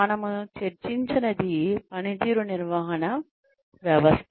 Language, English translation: Telugu, What we did not discuss, was the performance management system